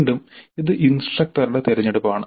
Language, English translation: Malayalam, Again this is the choice of the instructor